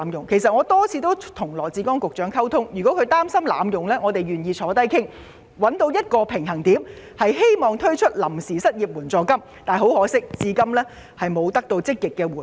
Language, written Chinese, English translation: Cantonese, 我曾多次與羅致光局長溝通，如果他擔心計劃會被濫用，我們願意一同商討，以尋求推出臨時失業援助金的平衡點。, I have discussed this proposal with Secretary Dr LAW Chi - kwong many times telling him that if he was worried about any potential abuse we might put our heads together to strike a balance in the introduction of temporary unemployment assistance